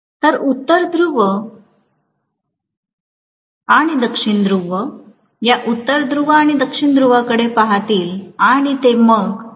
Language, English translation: Marathi, So the North Pole and South Pole will look at this North Pole and South Pole and it will repel, right